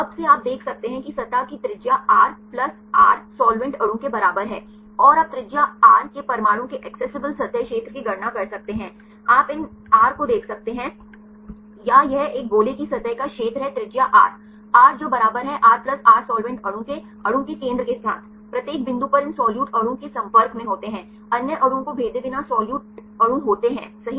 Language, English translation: Hindi, From that now you can see the radius of the surface is equal to R plus r the solvent molecule, and you can calculate accessible surface area of atom of radius R you can see these r or this is a area of the surface of a sphere of radius r which is r equal to r plus r the solvent molecule, on each point with the center of the molecule are in contact these solute molecule in contact with there is solute molecule without penetrating the other atoms right